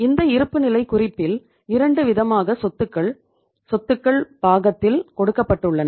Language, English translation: Tamil, In this balance sheet we are given the say two kind of the assets on the asset side